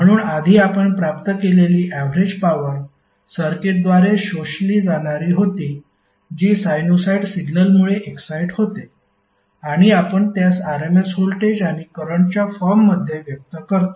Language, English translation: Marathi, So earlier what we derive was the average power absorbed by the circuit which is excited by a sinusoidal signal and we express them in the form of voltage rms voltage and current